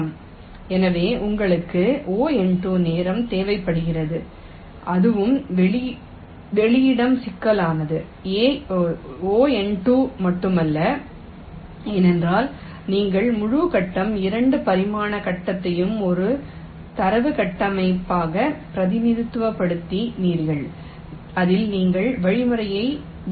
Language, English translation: Tamil, not only that, also space complexity is order n square because we are representing the entire grid, two dimensional grid, as a data structure on which you are running the algorithm